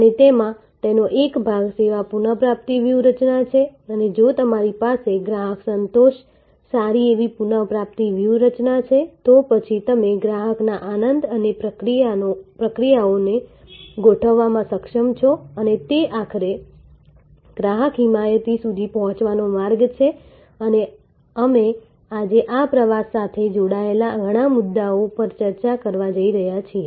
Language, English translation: Gujarati, And in that, one part of that is the service recovery strategy and if you have customer satisfaction, good service recovery strategy, then you are able to over lay the processes for customer delight and that is the pathway ultimately to reach customer advocacy and we are going to discuss today many issues relating to this journey